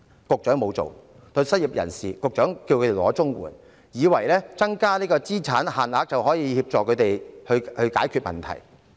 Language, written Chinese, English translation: Cantonese, 局長叫失業人士申請綜援，以為提高了資產上限，便可以協助他們解決問題。, The Secretary asked the unemployed to apply for CSSA thinking that an increase in the asset limit could readily help them resolve their problems